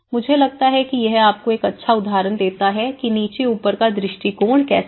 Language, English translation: Hindi, I think this gives you a good example of how the bottom up approach